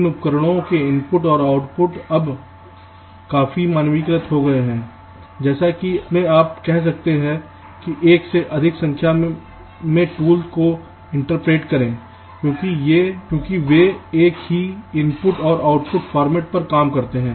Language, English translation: Hindi, now, one thing, ah, the inputs and the outputs of this tools are now fairly standardized so that you can you can say, inter operate multiple number of tools because they work on the same input and output formats